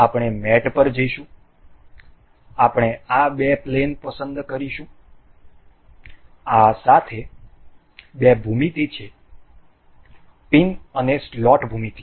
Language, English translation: Gujarati, We will go to mate, we will select the planes of these two with these are the two geometry the pin and the slot geometry